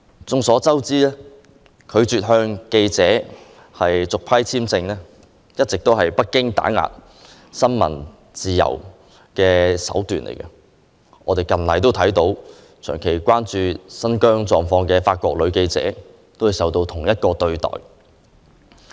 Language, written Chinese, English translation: Cantonese, 眾所周知，拒絕向記者續批簽證，一直是北京打壓新聞自由的手段，一名長期關注新疆狀況的法國女記者近期亦遭受同一對待。, As we all know denying journalists visa renewal is a tactic long adopted by Beijing to suppress freedom of the press . Recently a female French journalist was also denied of visa owing to her long - term concern over Xinjiang